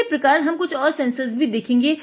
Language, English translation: Hindi, Like this we will see a few more sensors